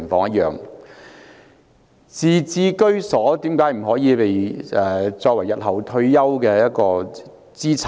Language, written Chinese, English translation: Cantonese, 為何自置居所不可作為日後退休的資產？, Why cant the property acquired be ones assets for retirement in the future?